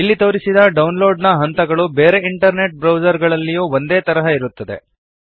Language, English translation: Kannada, The download steps shown here are similar in all other internet browsers